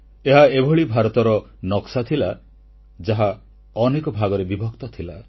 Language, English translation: Odia, It was the map of an India that was divided into myriad fragments